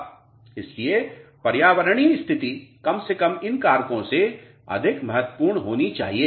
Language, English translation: Hindi, So, environmental condition should be much more important than at least these factors